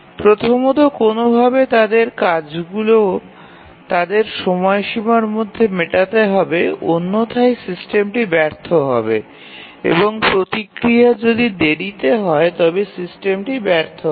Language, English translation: Bengali, So, the first thing is that it somehow has to make the tasks meet their deadlines otherwise the system will fail, if the response is late then the system will fail